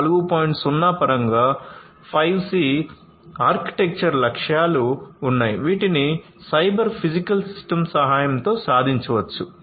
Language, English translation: Telugu, 0 there are 5C architecture goals, which can be achieved with the help of cyber physical system